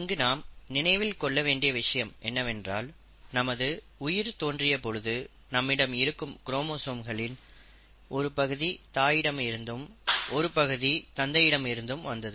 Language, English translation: Tamil, Now, what we have to remember is that when we start our life, we always get a set of chromosomes from our mother, and a set of chromosomes from our father